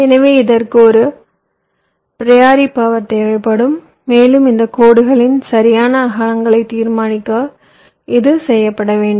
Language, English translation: Tamil, so this will be require a priori power and this is to be done to decide on the exact widths of this lines